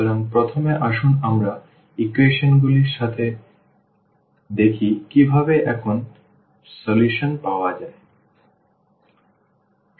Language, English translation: Bengali, So, first let us see with the equations how to get the solution now